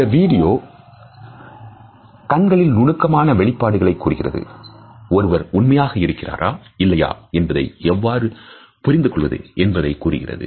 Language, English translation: Tamil, This video also tells us about looking at the micro expressions of eyes and how we can understand whether a person is being honest or not